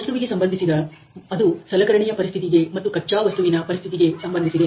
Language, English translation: Kannada, Material related which can be related to the tool condition and the work piece condition